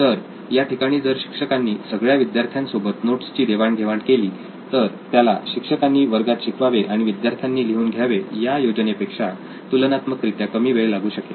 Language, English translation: Marathi, So teacher sharing the notes with the peers would usually take less time in case everyone is taking the notes while teacher is teaching in class